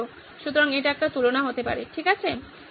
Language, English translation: Bengali, So this could be a comparison, okay so this